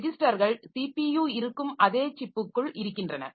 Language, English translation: Tamil, Registers are within the same chip as CPU